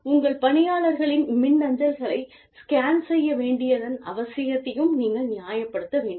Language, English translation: Tamil, And, you must also justify, the need for scanning the emails of your employees, if it is being done